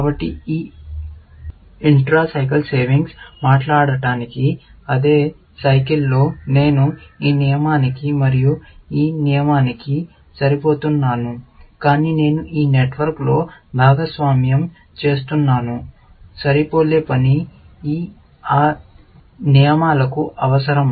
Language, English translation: Telugu, So, this intra cycle savings, so to speak, that in the same cycle, I am matching this rule and this rule, but I am sharing in this network; the matching work, which is required for those rules